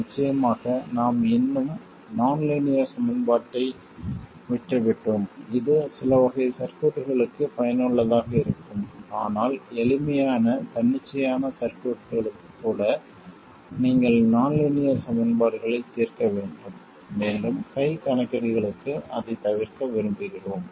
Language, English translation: Tamil, Of course we are still left with a nonlinear equation and this is useful for certain classes of circuits but still even for simple arbitrary circuits you have to solve nonlinear equations and we would like to avoid that for hand calculations